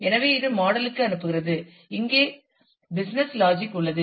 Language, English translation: Tamil, So, it is sends it to the model which, is the business logic here